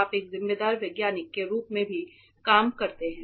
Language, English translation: Hindi, So, that being a scientist you also work as a responsible scientist